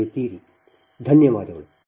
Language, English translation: Kannada, thank you again